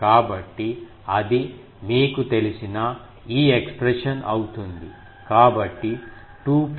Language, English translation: Telugu, So, that will be this expression you know